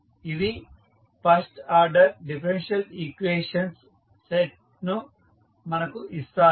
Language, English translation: Telugu, So, this is what you get from the differential equation